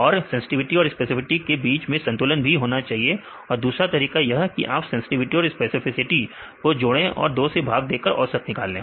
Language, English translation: Hindi, And there is a balance between sensitivity and specificity and another way is you can get the average takes sensitivity plus specificity by 2